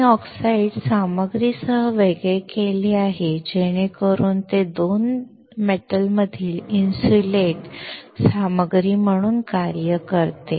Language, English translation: Marathi, I have separation with the oxide material so that it acts as an insulating material between 2 metals